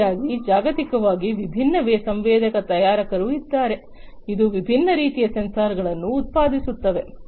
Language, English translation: Kannada, Like this, there are many different other sensor manufacturers globally, that produce different types of sensors